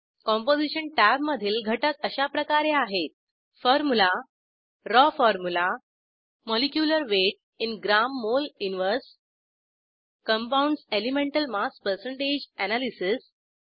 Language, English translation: Marathi, Composition tab has the following components * Formula * Raw formula * Molecular weight in g.mol 1 ( gram.mole inverse) * Compounds elemental mass percentage(%) analysis